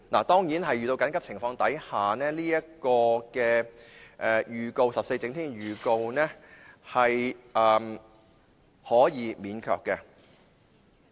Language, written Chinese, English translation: Cantonese, 當然，在遇到緊急情況時 ，14 整天前的預告是可以免卻的。, Of course in cases of emergency the President may dispense with such notice given to Members at least 14 clear days before the day of the meeting